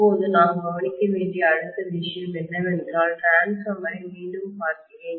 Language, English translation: Tamil, Now the next thing that we need to consider is, so let me look at the transformer again